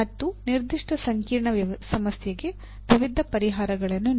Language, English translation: Kannada, And give multiple solutions to a given complex problem